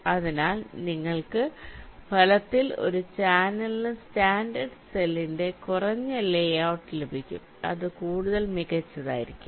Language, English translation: Malayalam, so you will be getting a virtually a channel less layout of standard cell, which will be much more compact again